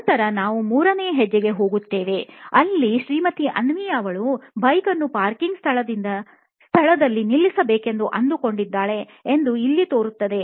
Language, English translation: Kannada, Then we go onto the third step which is now Mrs Avni looks like she has to park the bike in the parking spot